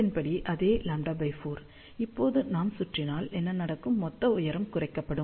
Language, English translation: Tamil, So, the same lambda by 4, if we now wrap around, so what will happen, my total height will be reduced